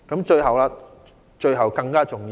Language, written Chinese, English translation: Cantonese, 最後一點更重要。, The last point is even more important